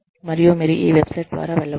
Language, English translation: Telugu, And, you can go through this website